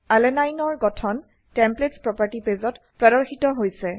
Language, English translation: Assamese, Structure of Alanine is loaded onto the Templates property page